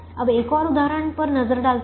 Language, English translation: Hindi, now let me look at another instance